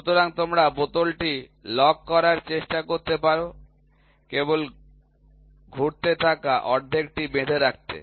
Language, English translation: Bengali, So, you can try to fasten just the rotating half you can try to lock the bottle